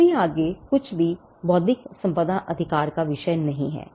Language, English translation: Hindi, Anything beyond this is not the subject purview of an intellectual property right